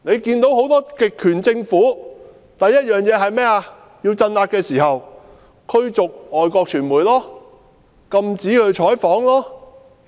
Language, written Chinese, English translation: Cantonese, 很多極權政府要鎮壓時，第一件事便是驅逐外國傳媒，禁止採訪。, When any totalitarian government wants to exercise suppression the first thing to do is usually to expel the foreign media and ban all news reporting